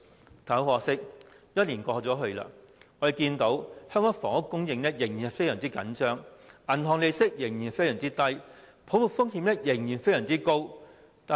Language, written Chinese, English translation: Cantonese, 然而，很可惜，一年過後，香港房屋供應仍然非常緊張，銀行利率仍然非常低，泡沫風險仍然非常高。, However regrettably one year on Hong Kongs housing supply has remained very tight bank interest rates have remained very low and the risk of a bubble has remained very high